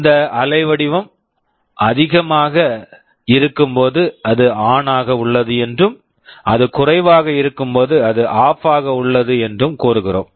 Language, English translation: Tamil, Like when this waveform is high we say it is ON and when it is low we say it is OFF